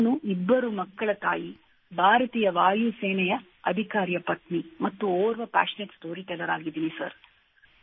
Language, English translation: Kannada, I am a mother of two children, the wife of an Air Force Officer and a passionate storyteller sir